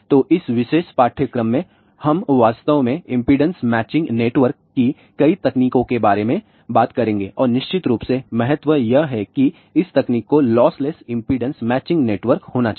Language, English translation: Hindi, So, in this particular course we will actually talk about several techniques of impedance matching network and of course, the importance is that this technique has to be lossless impedance matching network